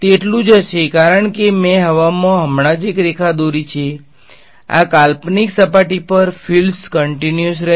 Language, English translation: Gujarati, It would be the same because I have just drawn a line in air right the fields will be continuous across this hypothetical surface